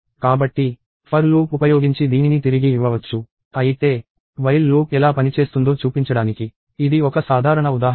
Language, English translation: Telugu, So, this can be returned using a for loop; but, this is a simple example to show how the while loop works